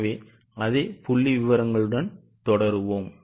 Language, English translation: Tamil, So, we will just continue with the same figures